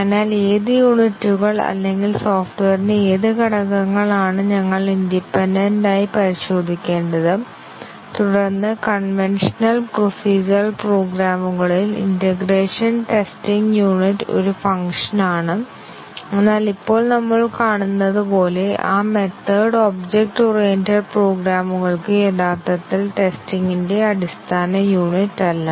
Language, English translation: Malayalam, So, which units or which elements of the software we need to test independently and then do the integration testing in the conventional procedural programs the unit is a function, but as we will see just now that method is not really the basic unit of testing for object oriented programs